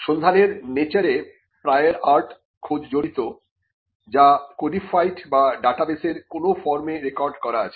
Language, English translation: Bengali, The very nature of search involves looking for prior art documents which are codified, or which are recorded in some form of a database